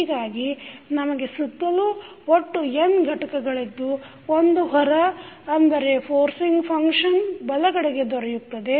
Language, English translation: Kannada, So, we have now around total n element for one as the out as the forcing function on the right side